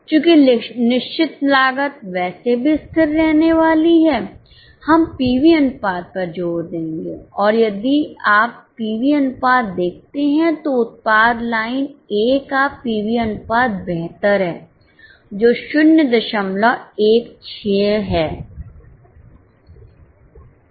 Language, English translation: Hindi, Since fixed costs are anyway going to remain constant, we will emphasize on PV ratio and if you look at the PV ratio, product line A has a better PV ratio, which is 0